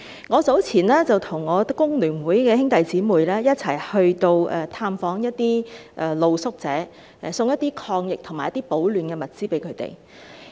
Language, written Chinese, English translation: Cantonese, 我早前與工聯會的成員一起探訪露宿者，送贈一些抗疫和保暖的物資給他們。, Not long ago some FTU members and I paid visits to street sleepers giving them some anti - epidemic materials and warm clothes